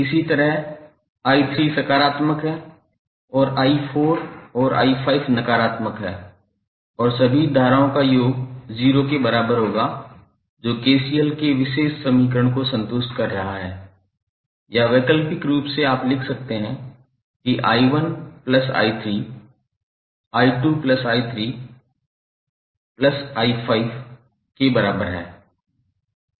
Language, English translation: Hindi, Similarly, i3 ¬is positive and i¬4 ¬¬and i¬5¬ are negative and the sum of all the currents would be equal to 0 which is satisfying the particular equation of KCL or alternatively you can write that i¬1 ¬plus i¬3 ¬is equal to i¬¬¬2¬ plus i¬¬4 ¬plus i¬5¬